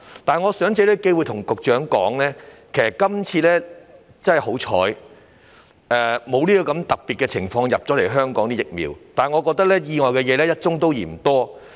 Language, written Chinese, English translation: Cantonese, 我藉此機會告訴局長，其實香港今次真的很幸運，該種特別的疫苗沒有供應香港，但我認為意外是"一宗也嫌多"。, However I would take this opportunity to tell the Secretary that Hong Kong is really very lucky for not getting the supply of that particular kind of vaccine but I think even one accident is too many